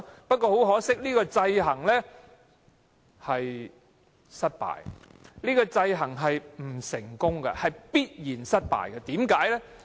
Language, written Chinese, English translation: Cantonese, 不過，很可惜，這個制衡是失敗和不成功的，是必然失敗的。, However this counteraction is unfortunately ineffective and unsuccessful and is doomed to failure